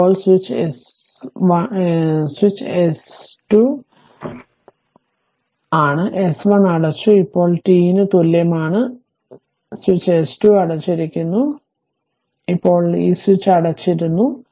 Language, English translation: Malayalam, Now, switch S switch S 2 is close, S 1 was closed; now at t is equal 0, switch S 2 is closed, now this switch is also closed